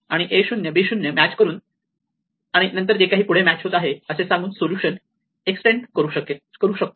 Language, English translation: Marathi, I can extend that solution by saying a 0 match is b 0 and then whatever matches